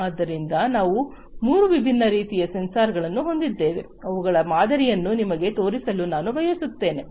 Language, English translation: Kannada, So, we have three different types of sensors, I just wanted to show you the samples of these